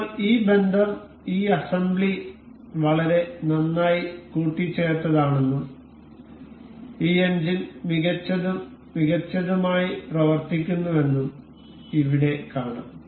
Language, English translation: Malayalam, Now, we can see here that this relation is this assembly is very well assembled, and this engine works nice and good